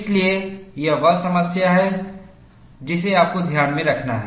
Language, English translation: Hindi, So, that is the issue that, you have to keep in mind